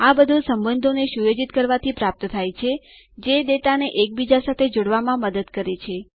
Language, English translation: Gujarati, All of these can be achieved by setting up relationships, which helps interlink the data